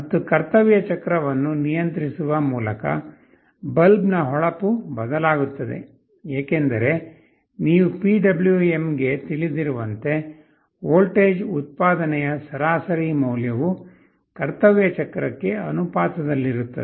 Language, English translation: Kannada, And by controlling the duty cycle, the brightness of the bulb will change, because as you know for a PWM the average value of the voltage output will be proportional to the duty cycle